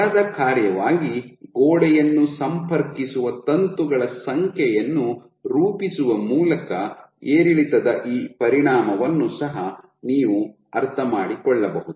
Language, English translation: Kannada, So, you can also understand this effect of fluctuation by plotting the number of filaments contacting the wall as a function of force